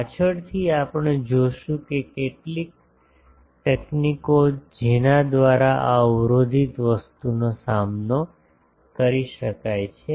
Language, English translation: Gujarati, In the later, we will see that some of the techniques for by which this blockage thing can be tackled